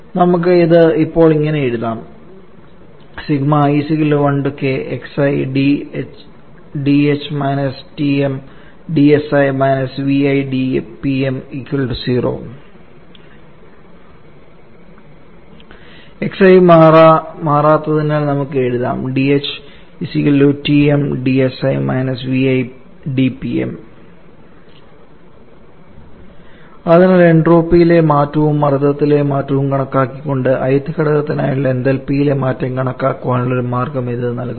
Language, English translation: Malayalam, We can write this one now as d of hi minus Tm into d of si minus Vi into d of Tm to be equal to zero again as xi is a not changing so we can write d for hi is equal to Tm dsi minus Vi dPm so these gives as y of estimating the change in enthalpy for the i th component by estimating the changes entropy and change in pressure